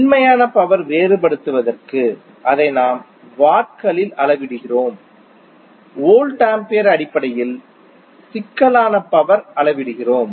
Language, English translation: Tamil, Just to distinguish between real power that is what we measure in watts, we measure complex power in terms of volt ampere